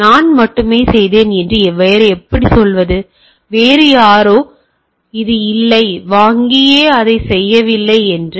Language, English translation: Tamil, So, how do I say that I only did, somebody else has not this, whether the bank has itself not did right